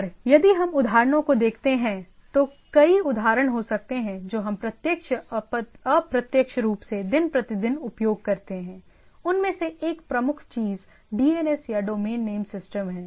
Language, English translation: Hindi, And if we look at the examples, there is a number of examples what we use directly or indirectly day to day, one of the major thing is the DNS or domain name systems